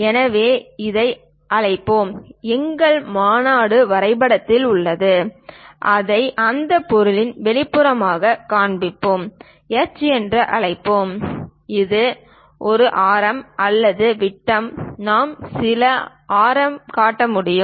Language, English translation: Tamil, Let us call this one this; our convention is in drawing we will show it exterior to that object, let us call H and this one radius or diameter we can show some radius